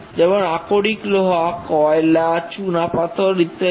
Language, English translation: Bengali, For example, iron ore, coal, limestone and so on